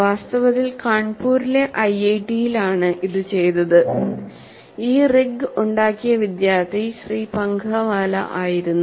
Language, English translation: Malayalam, In fact, this was done at IIT Kanpur and the student who fabricated this rig was one Mr